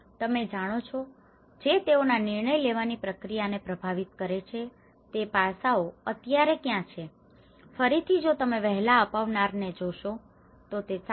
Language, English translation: Gujarati, You know, what are the aspects that influence their decision making process now, again here if you look at it the early adopter from 7